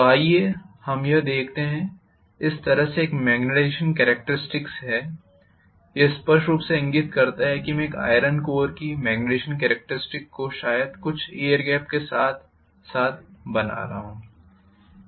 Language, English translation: Hindi, So let us say I am having a magnetization characteristic like this, this clearly indicates that I am drawing the magnetization characteristics for an iron core along with maybe some air gap